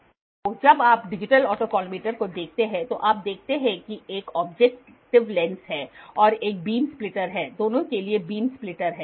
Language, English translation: Hindi, So, digital when you look at digital autocollimator you see that there is an objective lens then there is a beam splitter, beam splitter is there for both